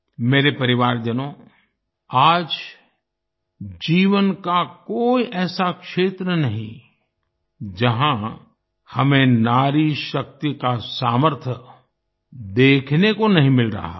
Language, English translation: Hindi, My family members, today there is no area of life where we are not able to see the capacity potential of woman power